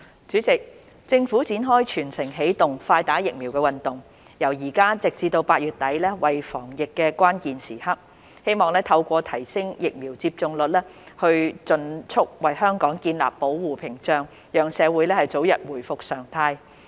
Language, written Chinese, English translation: Cantonese, 主席，政府展開"全城起動，快打疫苗"運動，由現在直至8月底為防疫關鍵時刻，希望透過提升疫苗接種率，盡速為香港建立保護屏障，讓社會早日回復常態。, President the Government launched the Early Vaccination for All campaign with an aim to building an immune barrier in Hong Kong as soon as possible by significantly raising the vaccination rate during the critical period from now until the end of August thereby restoring normality to society sooner rather than later